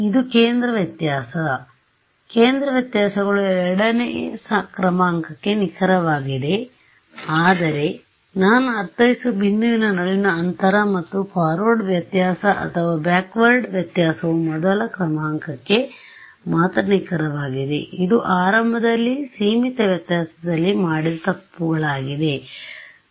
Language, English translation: Kannada, It is a centre difference; centre differences is accurate to second order in h the spacing between a point that is what I mean and forward difference or backward difference are only accurate to first order it is the power of the error we have done that it in the beginning in finite difference ok